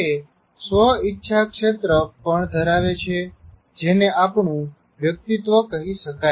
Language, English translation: Gujarati, It also contains our so called self will area which may be called as our personality